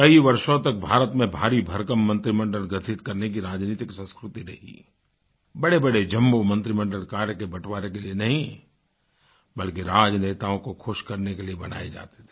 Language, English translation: Hindi, For many years in India, the political culture of forming a very large cabinet was being misused to constitute jumbo cabinets not only to create a divide but also to appease political leaders